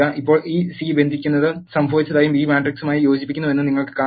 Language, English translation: Malayalam, Now, you can see that this C bind it happened and the B is concatenated to the matrix A